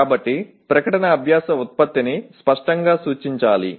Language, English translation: Telugu, So the statement should clearly represent the learning product